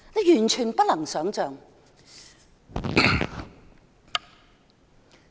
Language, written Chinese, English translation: Cantonese, 完全不能想象。, It is totally beyond my imagination